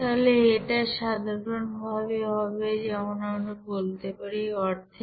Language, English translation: Bengali, So it will be you know simply as we can say it will be half